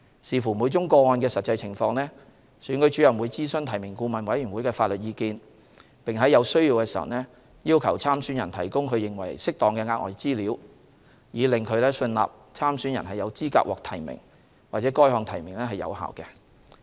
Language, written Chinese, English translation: Cantonese, 視乎每宗個案的實際情況，選舉主任會諮詢提名顧問委員會的法律意見，並在有需要時要求參選人提供其認為適當的額外資料，以令其信納參選人有資格獲提名或該項提名是有效的。, Depending on the actual circumstances of each case the Returning Officer may seek legal advice from the Nomination Advisory Committee and may where necessary require the candidate to furnish additional information that heshe considers appropriate so as to satisfy himselfherself as to the eligibility of the candidate or the validity of the nomination